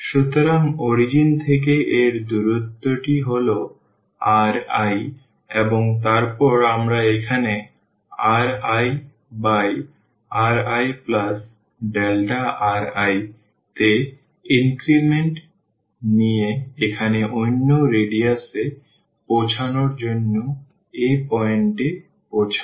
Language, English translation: Bengali, So, this distance from the origin to this is r i, and then we take and increment here in r i by r i plus delta r i to reach to the other radius here from thus to this point